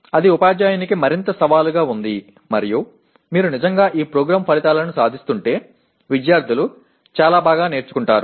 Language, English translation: Telugu, It is more challenging to the teacher and if you are really attaining these program outcomes the students will learn lot better